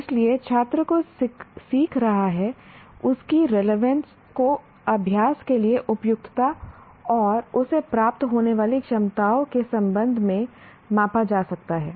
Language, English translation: Hindi, So the whole lot of the relevance of what the student is learning is measured with respect to the fitness or practice and the capabilities that he gains